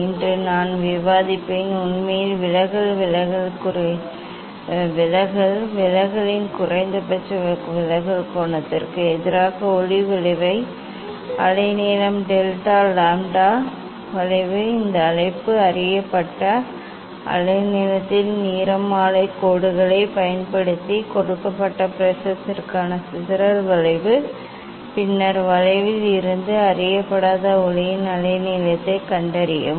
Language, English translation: Tamil, today I will discuss I will demonstrate draw deviation actually minimum deviation angle of minimum deviation versus wavelength of light curve delta lambda curve this call also dispersive curve for a given prism using spectral lines of known wavelength then, find the unknown wavelength of light from the curve